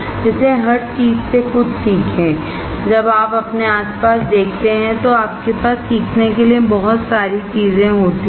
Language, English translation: Hindi, So, learn something from everything, right when you see around you have lot of things to learn